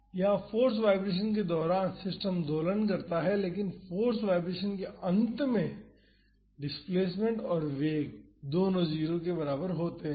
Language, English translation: Hindi, Here during the force vibration the system oscillates, but at the end of the force vibration the displacement and the velocity both are equal to 0